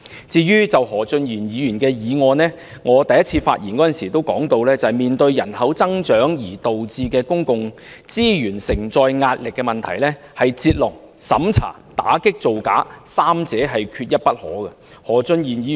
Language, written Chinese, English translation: Cantonese, 至於何俊賢議員的修正案，我在第一次發言時已提到，面對人口增長而導致公共資源承載壓力的問題，必須"截龍"、審查、打擊造假，三者缺一不可。, With regard to the amendment proposed by Mr Steven HO as I have mentioned when I spoke for the first time in order to relieve the pressure on the carrying capacity in terms of public resources brought about by the increase in population we should adopt a three - pronged approach of drawing a line carrying out investigation and combating frauds